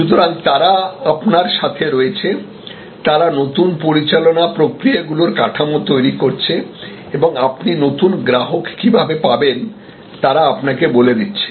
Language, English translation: Bengali, So, that they are with you, they are creating the new management processes, structures and they are telling you how to get new customers